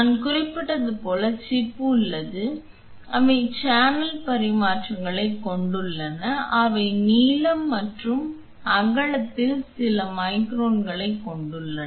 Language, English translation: Tamil, Like I mentioned the chip are there they have channel dimensions which are a few microns in length and width